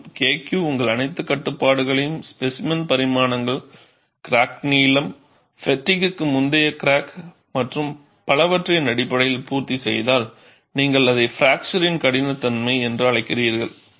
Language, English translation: Tamil, You have to find out K Q and if K Q satisfies all your restrictions, in terms of specimen dimension, crack length, pre fatigue cracking restriction so on and so forth, then you call it as fracture toughness